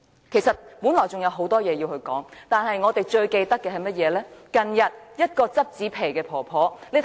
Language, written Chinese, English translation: Cantonese, 其實我本來還有很多事想說，但我最近印象最深刻的，是近日一位撿紙皮的婆婆被檢控的事。, Actually there are other issues I would like to talk about but recently the prosecution of an old woman who collects cardboard for a living has impressed me most deeply